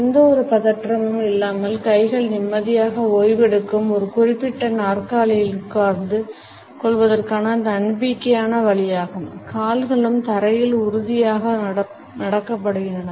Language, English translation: Tamil, It is a confident way of sitting on a particular chair where arms are resting peacefully without any tension and feet are also planted firmly on the floor